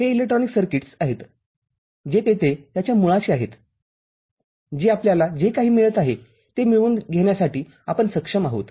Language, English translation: Marathi, It is the electronic circuits which are there at its core for which we are able to get whatever we are getting